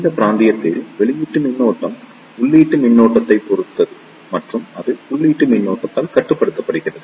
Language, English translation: Tamil, In this region, the output current depends upon the input current and it is controlled by the input current